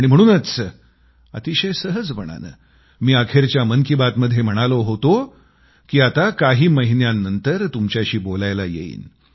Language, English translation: Marathi, And that is why in the last episode of 'Mann Ki Baat', then, I effortlessly said that I would be back after a few months